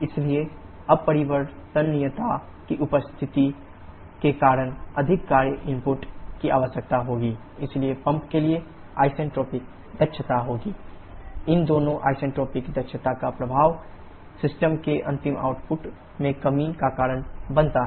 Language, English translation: Hindi, So, because of the presence of irreversibility more work input will be required so the isentropic efficiency for the pump will be the ideal work input requirement which is h4s h3 by actual work requirement which is h4 h3